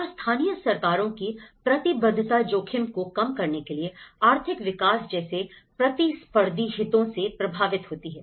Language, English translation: Hindi, And commitment of the local governments to risk reduction is impacted by competing interests such as economic growth